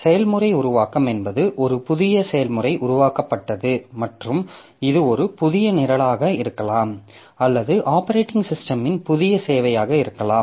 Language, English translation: Tamil, So process creation means a new process is created and may be a new program or new service of the operating system starts in that